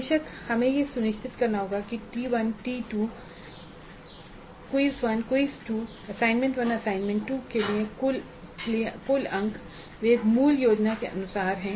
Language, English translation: Hindi, First we have to ensure that the total number of marks for T1 T2, PIS 1, assignment and assignment 2 there as per the original plan